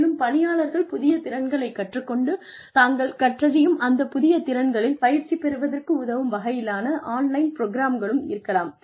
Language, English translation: Tamil, There could also be online programs, that could help employees, learn new skills, and practice the new skills, they learn